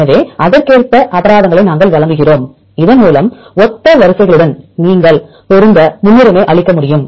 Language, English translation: Tamil, So, we give the penalty accordingly so that you can give preference to match similar sequences